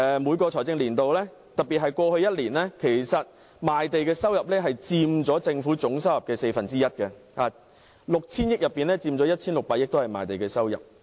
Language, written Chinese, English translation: Cantonese, 每個財政年度，特別是過去一年，賣地的收入佔政府總收入的四分之一 ，6,000 億元收入中，賣地的收入便佔 1,600 億元。, In every financial year especially in the past year the proceeds from land sales accounted for one quarter of the total revenue of the Government . Of the 600 billion revenue 160 billion was generated by land sales